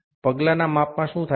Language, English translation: Gujarati, In step measurement what happens